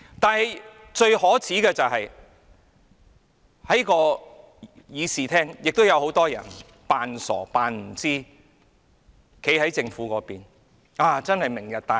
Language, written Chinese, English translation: Cantonese, 不過，最可耻的是，在這個議事廳內亦有很多人裝傻、裝作不知道，站在政府那邊，稱讚"明日大嶼"。, Yet the most shameful is that many people are also playing dumb in this Chamber pretending that they know nothing standing on the side of the Government by giving Lantau Tomorrow an applause